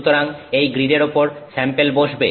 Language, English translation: Bengali, So, on this grid the sample will sit